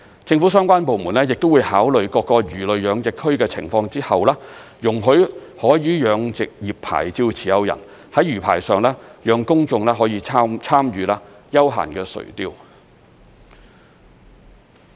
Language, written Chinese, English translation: Cantonese, 政府相關部門亦會在考慮各個魚類養殖區的情況後，容許海魚養殖業牌照持有人在魚排上讓公眾可以參與休閒垂釣。, The related government departments will also consider the status of different marine fish culture zones and then decide whether to allow marine fish culture licensees to operate recreational fishing at their fish rafts